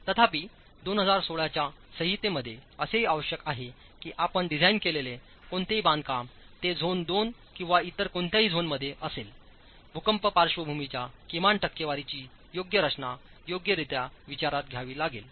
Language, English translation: Marathi, However, the 2016 code also requires that any construction that you design, any construction that you design, be it in zone 2 or any other zones, has to have a minimum percentage of earthquake lateral force considered for design